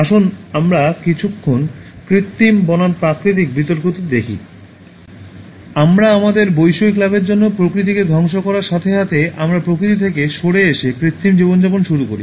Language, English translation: Bengali, Let us for a while look at the Artificial versus Natural debate: As we destroy nature for our materialistic gains, we move away from nature and start living an artificial life